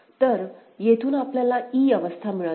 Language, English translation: Marathi, So, e from there we get this state e that is required